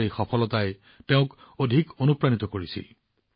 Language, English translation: Assamese, This success of his inspired him even more